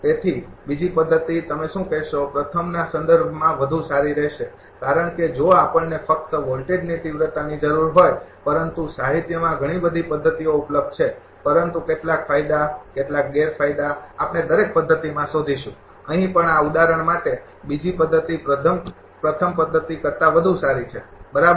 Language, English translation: Gujarati, So, second method will be better in terms of your what to call the first one because, we if we need the voltage magnitude only, but there are many many methods are available in the literature, but some advantages some disadvantages we will find in every method, here also for this example second method is better than first method, right